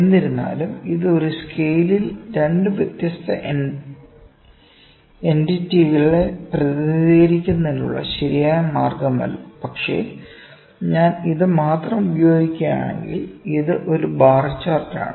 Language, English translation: Malayalam, However, this is not a very proper way of representation of 2 different entities on 1 scale but yes, if I even use this only, if I even use this only, ok, it is also a bar chart